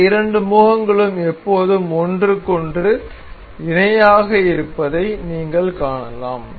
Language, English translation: Tamil, You can see this two faces are always parallel to each other